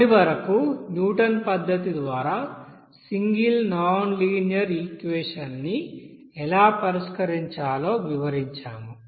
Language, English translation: Telugu, So till now we have described how to solve single nonlinear equation by Newton's method